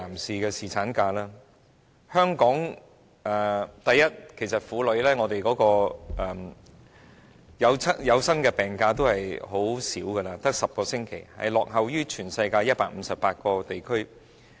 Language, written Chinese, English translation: Cantonese, 首先，香港婦女可享有的有薪產假其實是很短的，只有10星期，落後於全世界158個地區。, First of all the maternity leave to which Hong Kong women are entitled is actually very short lasting only 10 weeks and it lags behind 158 regions throughout the world